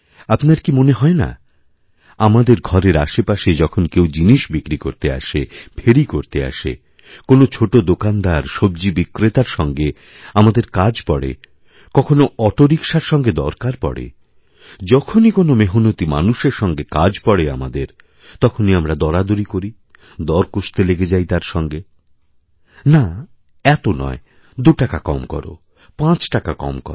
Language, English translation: Bengali, Don't you feel that whenever a vendor comes to your door to sell something, on his rounds, when we come into contact with small shopkeepers, vegetable sellers, auto rickshaw drivers in fact any person who earns through sheer hard work we start bargaining with him, haggling with him "No not so much, make it two rupees less, five rupees less